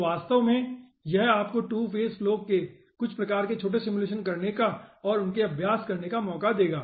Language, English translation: Hindi, so this will actually give you some sort of chance to do some sort small simulation of 2 phase flow and practice this one